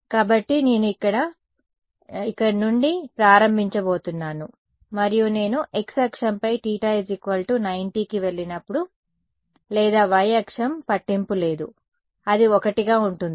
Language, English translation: Telugu, So, I am going to start from here and when I go to theta equal to over here let us say theta equal to 90 right on the x axis or the y axis does not matter, what will it be 1 right